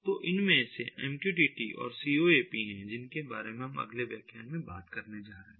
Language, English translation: Hindi, so these are the once mqtt, coap we are going to talk next in in the ah subsequent lectures